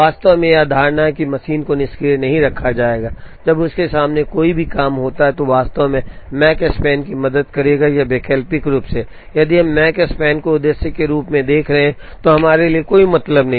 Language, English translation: Hindi, In fact, the assumption that the machine will not be kept idle, when there is a job waiting in front of it, would actually help the Makespan or alternately, if we are looking at Makespan as the objective then does not makes sense for us to keep the machine idle, when there are jobs waiting in front of it